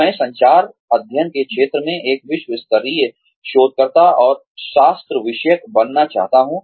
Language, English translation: Hindi, I would like to be, a world class researcher and academic, in the area of communication studies